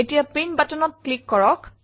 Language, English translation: Assamese, Now click on the Print button